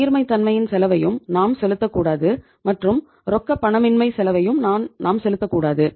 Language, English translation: Tamil, Neither we have to pay the cost of liquidity nor we have to pay the cost of illiquidity